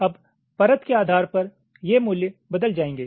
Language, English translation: Hindi, now, depending on the layer, this values will change